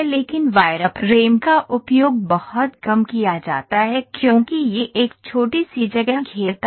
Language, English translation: Hindi, But wireframe is exhaustively used because it occupies a small space